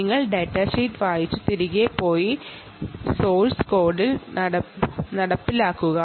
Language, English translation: Malayalam, you have to read the datasheet, go back and implement it in source code